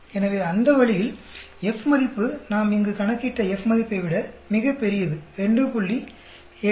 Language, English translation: Tamil, So that way F value is much larger than the F value we calculated here, 2